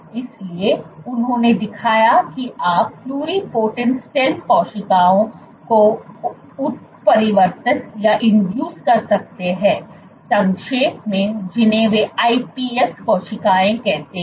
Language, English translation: Hindi, So, he showed that you can generate Induced pluripotent stem cells in short they are referred to as iPS cells